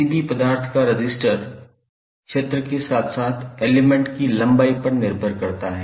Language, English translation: Hindi, Resistance of any material is having dependence on the area as well as length of the element